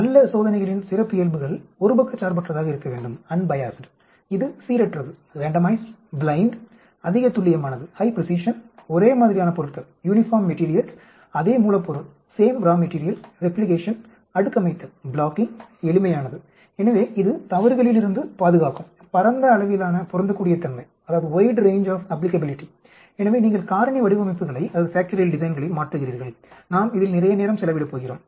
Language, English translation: Tamil, A characteristics of good experiments should be unbiased that is the randomized, blind, high precision, uniform materials, same raw material, replication, blocking, simple, so that it will protect against mistakes, wide range of applicability, so you change factorial designs we are going to spend lot of time on this